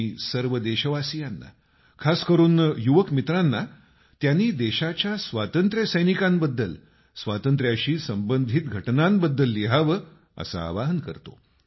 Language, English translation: Marathi, I appeal to all countrymen, especially the young friends to write about freedom fighters, incidents associated with freedom